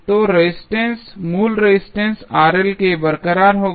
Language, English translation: Hindi, So, the resistance will be intact the original resistance Rl